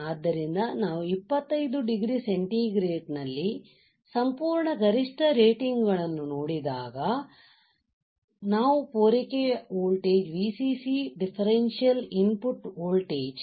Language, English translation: Kannada, So, when we look at the absolute maximum ratings at 25 degree centigrade, what we see supply voltage right Vcc we have seen that differential input voltage